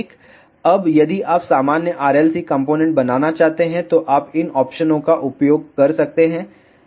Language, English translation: Hindi, Now, if you want to make normal RLC component, you can use these options